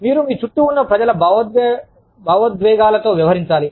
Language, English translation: Telugu, You have to deal with, the emotions of the people, around you